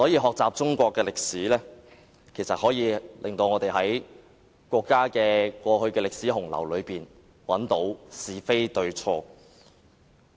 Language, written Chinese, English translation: Cantonese, 學習中國歷史，有助我們在國家的歷史洪流中分辨是非對錯。, The study of Chinese history helps us distinguish right from wrong in the torrent of our countrys history